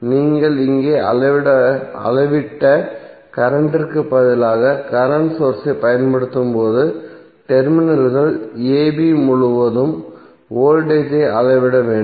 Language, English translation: Tamil, When you apply the current source instead of the current which you have measure here you have to measure the voltage across terminals a b